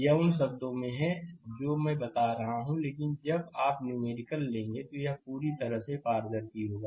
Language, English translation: Hindi, It is in words I am telling, but when you will take numerical, it will be totally transparent right